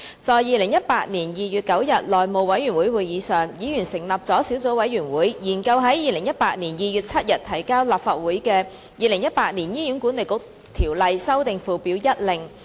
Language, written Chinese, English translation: Cantonese, 在2018年2月9日內務委員會會議上，議員成立了小組委員會，研究在2018年2月7日提交立法會的《2018年醫院管理局條例令》。, At the House Committee meeting on 9 February 2018 Members formed a subcommittee to study the Hospital Authority Ordinance Order 2018 which was laid on the table of the Legislative Council on 7 February 2018